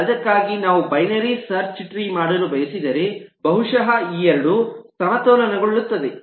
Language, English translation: Kannada, if, for that, we want to do a binary search tree, then possibly these two get balanced